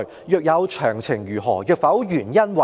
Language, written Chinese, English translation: Cantonese, 若有，詳情為何；若否，原因為何"？, If so what are the details? . If not what are the reasons?